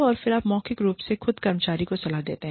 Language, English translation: Hindi, And then, you verbally, counsel the employee